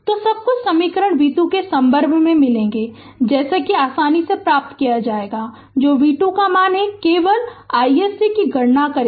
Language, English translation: Hindi, So, everything equation you will get in terms of v 2 such that you will easily get what is the value of v 2, then only we will compute I s c